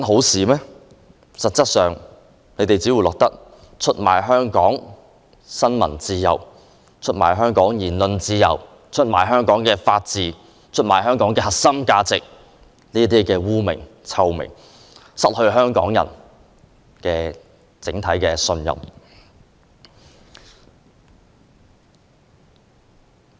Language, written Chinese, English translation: Cantonese, 實際上，你們只會留下出賣香港新聞自由、言論自由、法治和核心價值的罵名，失去香港人的信任。, In reality you will be condemned for betraying Hong Kongs freedom of the press freedom of speech the rule of law and core values and you will lose the trust of Hong Kong people